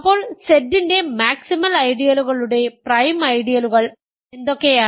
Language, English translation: Malayalam, So, what are the prime ideals of maximal ideals of Z